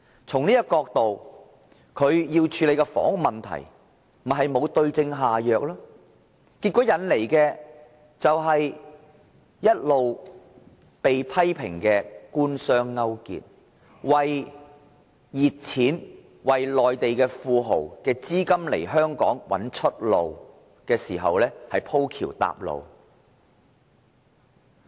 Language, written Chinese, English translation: Cantonese, 從這個角度而言，他在處理房屋問題上沒有對症下藥，結果一直被批評官商勾結，為熱錢、為內地富豪的資金"鋪橋搭路"，在香港找出路。, From this angle he has failed to prescribe the right remedy to address the housing problem . As a result he has to face criticisms of colluding with the business sector and paving the way for hot money and capital of the rich and powerful from the Mainland for channelling funds . This is an apt reflection of the overall policy vision of LEUNG Chun - ying